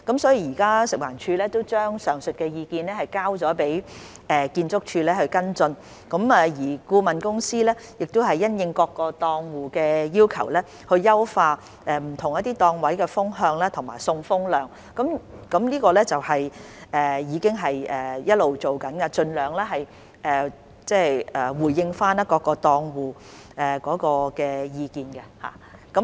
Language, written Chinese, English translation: Cantonese, 食環署已將上述意見交由建築署跟進，而顧問公司亦已因應各個檔戶的要求，優化不同檔位的風向和送風量，這些工作一直在進行，以盡量回應各個檔戶的意見。, FEHD has referred the aforesaid views to ArchSD for follow - up and the consultant has also optimized the wind direction and the supply air flow rate for different stalls in response to various stallholders requests . Such work has been in progress to respond to the views of various stallholders as far as possible